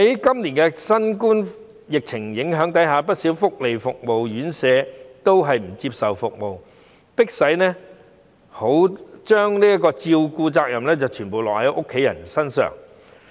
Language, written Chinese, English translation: Cantonese, 今年在新冠肺炎疫情影響下，不少福利服務院舍未能提供服務，迫使照顧的責任全部轉至家人身上。, This year under the impact of COVID - 19 many welfare service institutions are unable to provide services and thus the responsibility of taking care of those in need has to be shifted to family members